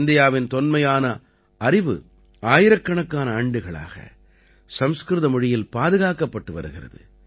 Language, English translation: Tamil, Much ancient knowledge of India has been preserved in Sanskrit language for thousands of years